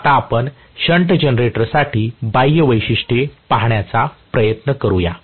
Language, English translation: Marathi, Let us try to look at the external characteristics for a shunt generator